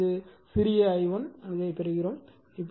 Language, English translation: Tamil, So, it is small i1 right small i1 you will get this